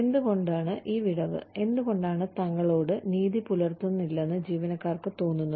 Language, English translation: Malayalam, Why is there, this gap, why do employees feel that, they are not being treated fairly